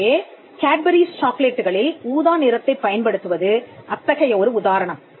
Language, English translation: Tamil, So, the use of purple in Cadbury chocolates is one such instance